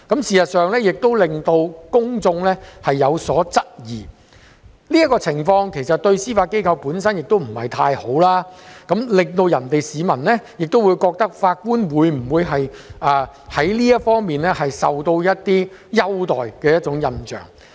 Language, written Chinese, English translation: Cantonese, 事實上，這樣做讓公眾有所質疑，其實這個情況對司法機構本身亦不太好，令市民存有法官會否在這方面受到優待的印象。, In fact this practice will arouse public query and it will also do no good to the Judiciary as the public may have an impression that the judge in question has received favourable treatment